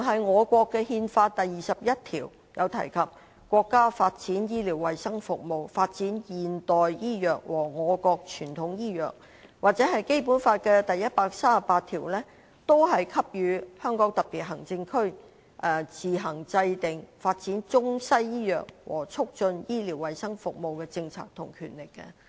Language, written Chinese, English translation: Cantonese, 我國的憲法第二十一條提到："國家發展醫療衞生事業，發展現代醫藥和我國傳統醫藥"；根據《基本法》第一百三十八條，香港特別行政區政府有自行制定發展中西醫藥和促進醫療衞生服務的政策的權力。, Article 21 of the Constitution of our country says The state develops medical and health services promotes modern medicine and traditional Chinese medicine . And according to Article 138 of the Basic Law the Government of the Hong Kong Special Administrative Region SAR shall on its own formulate policies to develop Western and traditional Chinese medicine and to improve medical and health services